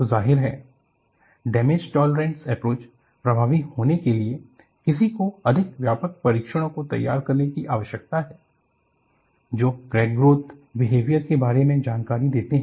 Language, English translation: Hindi, So, obviously, for damage tolerance approach to be effective, one needs to device more comprehensive test, that gives information on crack growth behavior